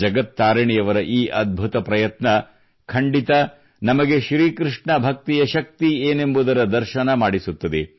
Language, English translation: Kannada, Indeed, this matchless endeavour on part of Jagat Tarini ji brings to the fore the power of KrishnaBhakti